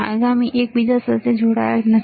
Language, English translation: Gujarati, The next one is not connected to second one